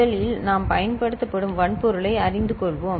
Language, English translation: Tamil, First, let us get familiarized with the hardware that we are using